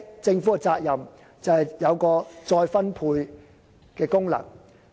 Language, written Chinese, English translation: Cantonese, 政府的責任就是發揮再分配的功能。, The Government has the responsibility to carry out redistribution